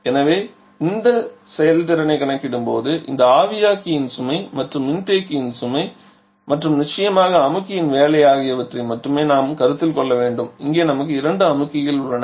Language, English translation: Tamil, And therefore when we shall be calculating the performance of this we only have to consider this evaporator load and this condenser load and of course the compressor work and here we have two compressors